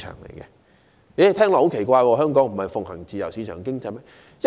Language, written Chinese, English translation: Cantonese, 大家聽到便會感到很奇怪，香港不是奉行自由市場經濟嗎？, Everyone will be surprised at when hearing this . Is it not true that market economy is practised in Hong Kong?